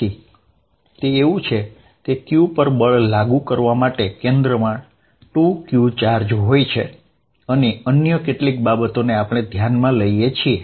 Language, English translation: Gujarati, So, it is as if, at center there is a there is a charge 2 q sitting applying force on q, and the other certain things, we are noticing